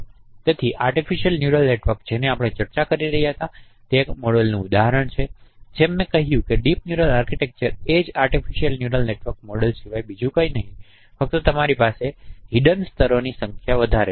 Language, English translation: Gujarati, So artificial neural network we discussed that is one example of model and as I mentioned that deep neural architecture is nothing but the same artificial neural network model only you have more number of hidden layers